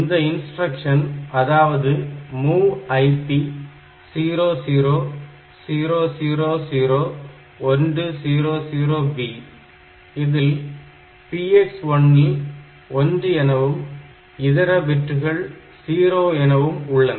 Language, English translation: Tamil, So, MOV IP, this instruction, MOV IP comma 00000100B, the binary pattern so, 1 this PX1 this bit is 1 and rest of the bits are 0